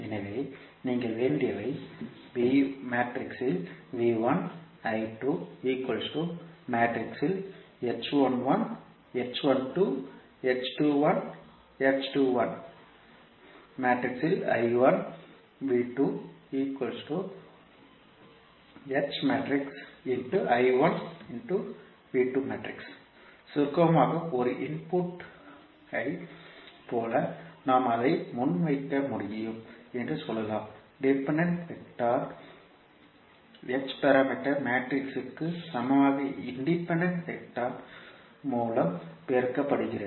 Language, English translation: Tamil, So in summary we can say that we can be present it like a input the dependent vector is equal to h parameter matrix multiplied by independent vector